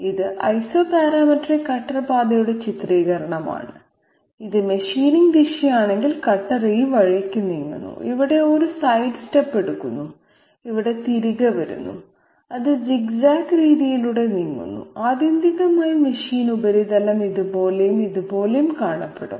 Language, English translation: Malayalam, This is a depiction of Isoparametric cutter path like if this is the machining direction, the cutter is moving this way, takes a sidestep here, comes back here and it is moving by zig zag method and ultimately the machine surface will look like this and this will be the cutter path, scallops will also be you know of those upraised portions will also be oriented in this direction